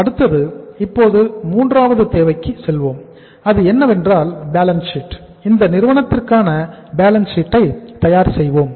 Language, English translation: Tamil, Now next go to the third requirement and that is the balance sheet